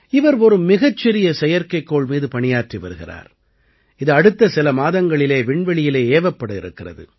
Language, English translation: Tamil, She is working on a very small satellite, which is going to be launched in space in the next few months